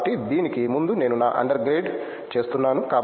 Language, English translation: Telugu, So, before this I was doing my under grade